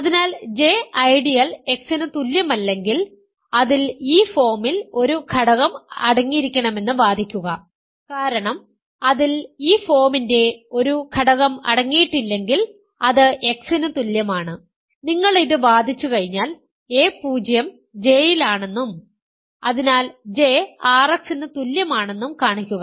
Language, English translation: Malayalam, So, if J is not equal to ideal X, argue that it must contain an element of this form because if it does not contain an element of this form, it is equal to X and once you argue this then show that a 0 is in J and hence J is equal to R X ok, this is almost a complete hint for you, using this you can show that X is a maximal ideal